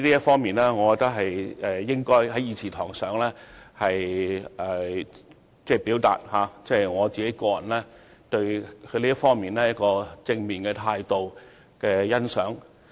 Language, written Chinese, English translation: Cantonese, 就此，我認為我應該在議事堂上，表達我對相關官員正面態度的欣賞。, In this connection I think I should express in this Chamber my appreciation of the positive attitude of the officials concerned